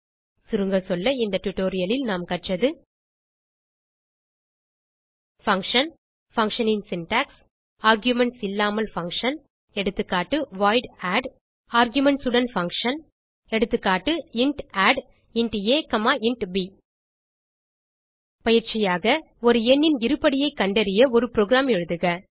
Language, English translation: Tamil, To summarise, in this tutorial we have learnt Function Syntax of function Function without arguments Eg void add() Function with arguments Eg int add As an assignment Write a program to calculate the square of a number